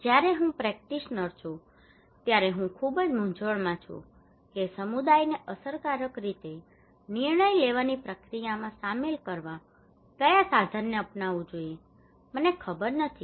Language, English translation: Gujarati, When I am a practitioner, I am very confused which tool to take which tool to adopt in order to effectively involve community into the decision making process, I do not know